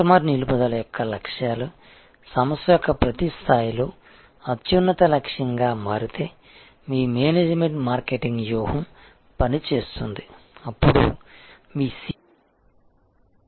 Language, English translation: Telugu, If the objectives of customer retention becomes a supreme objective across every level of organization becomes a top a management obsession, then your relationship marketing strategy will work, then your CRM investment will be fruitful